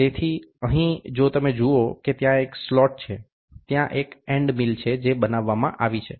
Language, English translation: Gujarati, So, here if you see there is a there is a slot, which is there is an end mill which is made